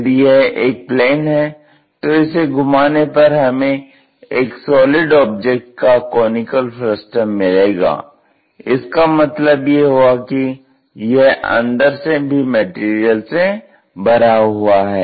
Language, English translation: Hindi, If, it is a plane this entire plane revolves around this axis, then we will get a conical frustum of solid object; that means, material will be filled inside also